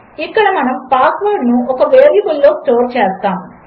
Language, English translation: Telugu, We are going to store the password in a variable here